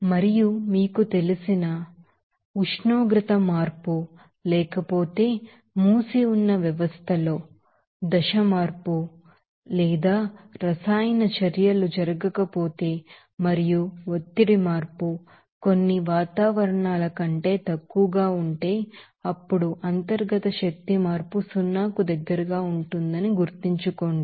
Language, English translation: Telugu, And also we you know suggested to you know remember that, if no temperature change, if there is no phase change or no chemical reactions occur in a closed system and if the pressure change are less than a few atmospheres, then we can say that internal energy change will be close to zero